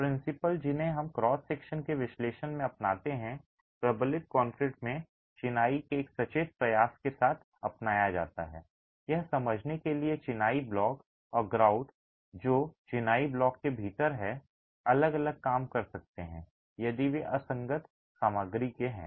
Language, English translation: Hindi, Principles that we adopt in analysis of cross sections in reinforced concrete are adopted in masonry with a conscious effort to understand how the masonry block and the grout which is within the masonry block may work differently if they are of dissimilar materials